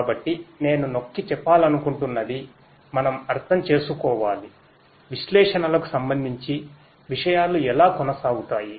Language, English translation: Telugu, So, what I would like to emphasize is we need to understand; we need to understand how things go on with respect to the analytics